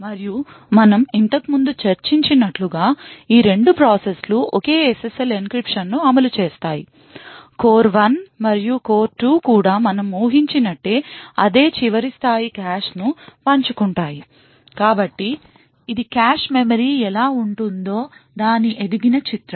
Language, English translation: Telugu, And as we have discussed before, both of these processes execute the same SSL encryption, also what we assume is that both core 1 and core 2 share the same last level cache, so this is a grown up picture of what the cache memory looks like